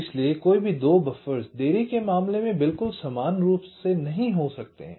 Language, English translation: Hindi, so no two buffers can be exactly identically in terms of the delays